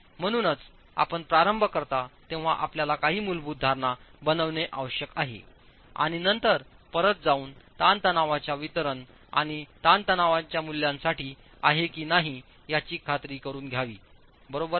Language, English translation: Marathi, So, you need to make some basic assumptions when you start and then go back and check if for the distribution of stresses and the values of stresses is that assumption right